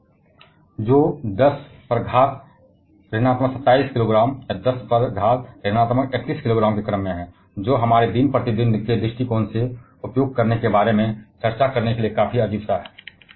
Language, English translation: Hindi, Of the order of 10 to the power of minus 27 kgs or 10 to the power of minus 31 kgs, which are quite odd to discuss about using from a point of view of our day to day life